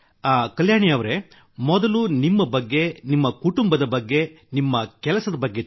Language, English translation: Kannada, Kalyani ji, first of all tell us about yourself, your family, your work